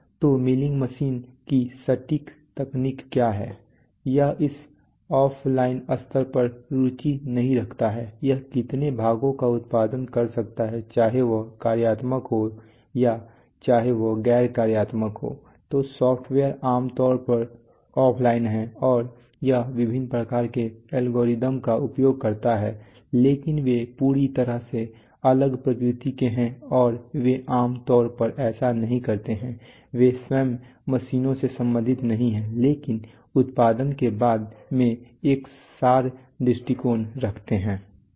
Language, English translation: Hindi, So what is the exact technology of the milling machine it is not of interest at this offline level what is of interest is how many pieces of parts it can produce whether it is functional or whether it is non functional, such things right so the software is generally offline and it uses it does use various kinds of algorithms but they are of totally different nature and they do not generally they do not, they are not concerned as such with the machines themselves but take an abstract view of production